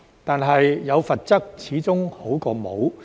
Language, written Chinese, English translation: Cantonese, 但是，有罰則始終比沒有好。, That said some penalties are better than none after all